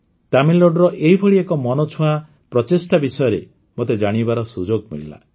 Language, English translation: Odia, I also got a chance to know about one such interesting endeavor from Tamil Nadu